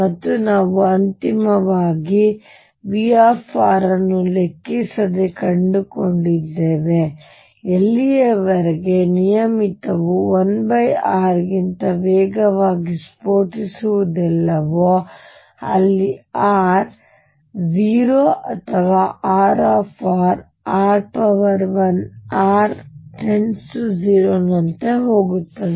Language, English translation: Kannada, And, we finally found for irrespective of v r; as long as regular does not blow faster than 1 over r as r goes to 0 or R goes as r raised to l as r tends to 0